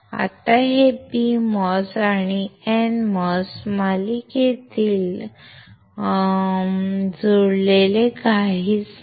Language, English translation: Marathi, Now,, this is nothing but PMOS and NMOS connected, in series